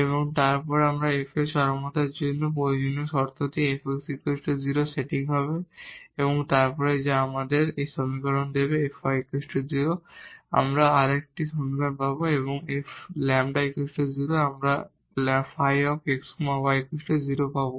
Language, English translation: Bengali, And, then the necessary condition for extrema of this F will be the setting F x is equal to 0 and then which gives us this equation F y is equal to 0 we get another equation and F lambda is equal to z we get the phi x y is equal to 0